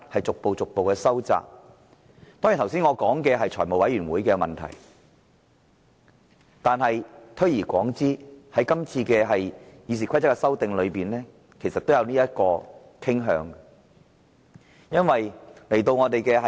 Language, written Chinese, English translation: Cantonese, 當然，我剛才提及的是財務委員會的問題，但推而廣之，在今次有關《議事規則》的修訂上，其實也有此傾向。, Of course what I said just now is the case of the Finance Committee . However if we look at the wider picture we will see that the current amendment to RoP is moving in the same direction